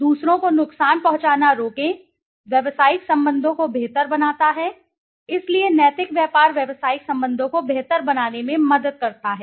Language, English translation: Hindi, Prevent harming others; improve business relations, so ethical business helps in improving business relationship